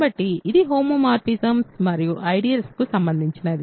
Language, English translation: Telugu, So, this is something related to homomorphisms and ideals